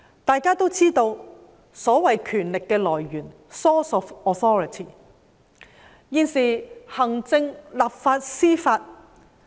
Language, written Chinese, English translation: Cantonese, 大家都知道所謂權力的來源，就是來自行政、立法和司法機關。, We all know that the so - called sources of authority come from the executive the legislative and the judicial authorities